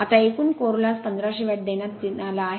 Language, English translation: Marathi, Now, total core loss is given 1500 watt